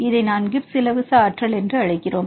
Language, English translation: Tamil, This is reason why we call this as Gibbs free energy